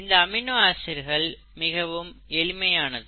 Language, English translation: Tamil, ItÕs very simple; this amino acid is very simple